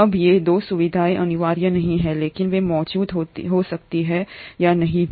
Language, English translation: Hindi, Now these 2 features are not mandatory but they may or may not be present